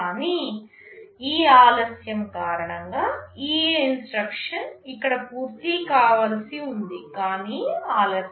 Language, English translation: Telugu, But because of this delay this instruction was supposed to finish here, but it got delayed